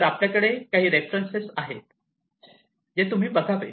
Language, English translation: Marathi, So, we have these are the some of the references that one can go through